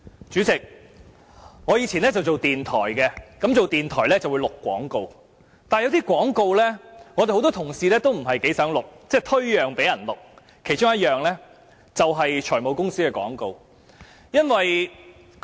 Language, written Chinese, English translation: Cantonese, 主席，我以往在電台任職，而在電台任職會錄製廣告，但有些廣告，我和很多同事也不太想錄製，會推讓給別人錄製，其中一類便是財務公司的廣告。, President I worked at a radio station in the past and when I worked there I would record radio commercials . But for some commercials many colleagues and I were rather reluctant to record and would pass them to someone else . One such commercials were those placed by finance companies